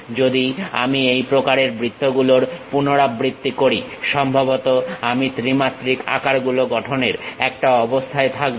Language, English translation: Bengali, If I repeat similar kind of objects, perhaps I will be in a position to construct three dimensional shapes